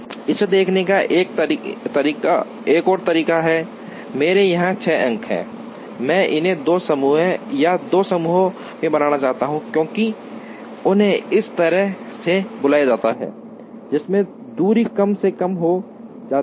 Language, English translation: Hindi, Another way of looking at it is, I have 6 points here, I want to make them into two groups or two clusters as they are called such that, the distances are minimized